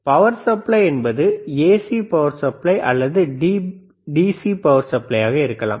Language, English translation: Tamil, So, power supply can be AC power supply or DC power supply